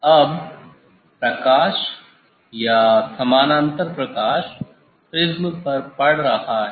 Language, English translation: Hindi, Now, light or parallel light of falling on the prism